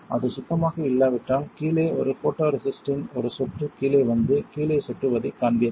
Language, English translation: Tamil, If it was not clean you would see a an drip down of photoresist coming down here and dripping to the bottom